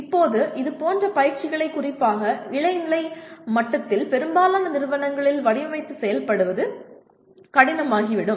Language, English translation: Tamil, And now further it will become difficult to design and implement such exercises particularly at undergraduate level in majority of the institutions